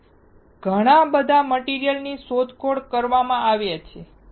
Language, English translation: Gujarati, So, lot of material has been explored